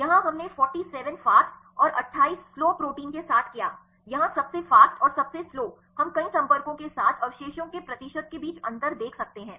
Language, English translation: Hindi, Here we did with the 47 fast and 28 slow proteins, here the fastest and slowest we can see the difference between the percentage of residues with the multiple contacts